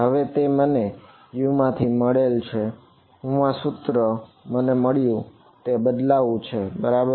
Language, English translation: Gujarati, Now that I have got this form of U, I substituted into this equation that I got alright